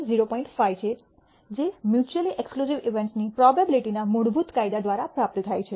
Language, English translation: Gujarati, 5 which is obtained by a basic laws of probability of mutually exclusive events